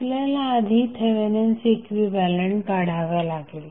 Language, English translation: Marathi, So, what we have to do we have to first find the Thevenin equivalent